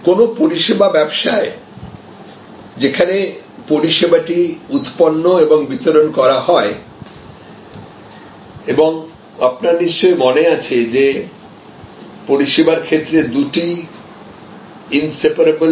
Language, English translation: Bengali, So, in a service business this part, where the service is generated and delivered and you recall that in service, often they are inseparable